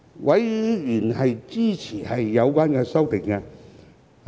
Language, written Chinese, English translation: Cantonese, 委員支持有關修正案。, Members are supportive of the amendment in question